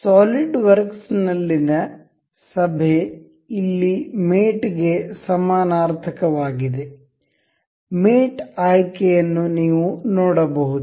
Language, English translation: Kannada, The assembly in this in solidworks is synonymous to mate here; mate option you can see